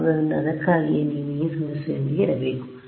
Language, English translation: Kannada, So, that is why you have to live with this problem